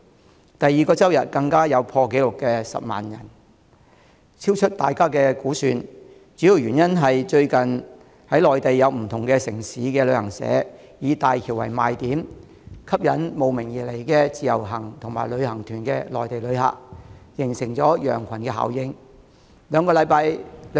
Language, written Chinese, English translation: Cantonese, 在第二個周日更有破紀錄的10萬多人，超出大家的估算，主要原因是最近在內地不同城市的旅行社都以大橋為賣點，吸引慕名而來的自由行及旅行團的內地旅客，形成羊群效應。, On the following Sunday it even broke the record with some 100 000 users exceeding our estimation . The main reason is that travel agencies in different cities on the Mainland have recently used HZMB as a selling point attracting Mainland visitors under the Individual Visit Scheme or in tour groups thus creating a bandwagon effect